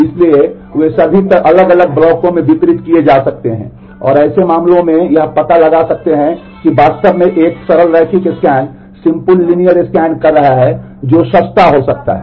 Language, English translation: Hindi, So, they may be all distributed across different blocks and in such cases it may turn out that actually is doing a simple linear scan may turn out to be cheaper